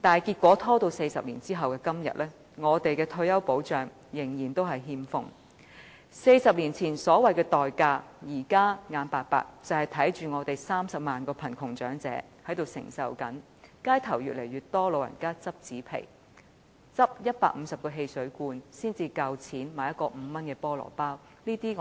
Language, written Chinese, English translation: Cantonese, 然而 ，40 年後的今天，我們的退休保障仍然欠奉 ；40 年前所謂的"代價"，就是我們現在無奈地看着30萬名貧窮長者受苦，街頭越來越多長者拾紙皮，拾150個汽水罐才能夠買一個5元的菠蘿包。, As regards the cost described 40 years ago we have to watch helplessly 300 000 elderly people living in poverty now . The number of elders collecting cardboard boxes on the street has been on the rise . They have to collect 150 soft drink cans to get 5 for buying a pineapple bun